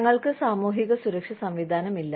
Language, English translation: Malayalam, So, we do not have a system of social security